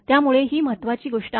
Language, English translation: Marathi, So, these are the significant thing